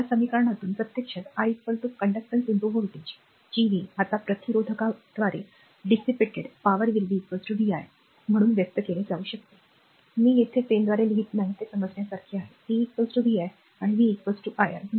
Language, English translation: Marathi, So, from this equation actually i is equal to conductance into voltage Gv, now the power dissipated by a resistor can be expressed as p is equal to you know vi, right, I am not writing by pen here it is a understandable p is equal to vi and v is equal to iR